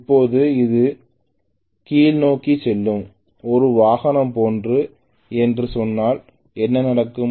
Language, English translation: Tamil, Now if let us say it is something like a vehicle which is going downhill right, what will happen